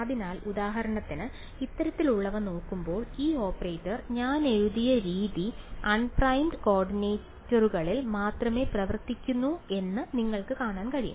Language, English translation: Malayalam, So, looking at this kind of a lets for example, take this you can notice that this operator the way I have written it only acts on unprimed coordinates